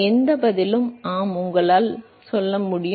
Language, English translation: Tamil, Any answer is yes you can